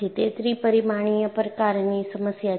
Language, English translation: Gujarati, It is a three dimensional problem